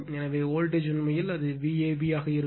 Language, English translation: Tamil, So, voltage actually it will be V a v